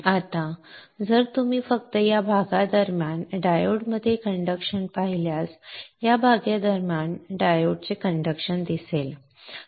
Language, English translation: Marathi, Now if you see only during this portion we see conduction in the diode